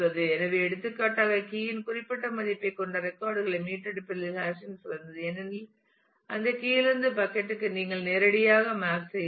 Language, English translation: Tamil, So, for example, hashing is better in terms of retrieving records which have a specific value of the key because you can directly map from that key to the bucket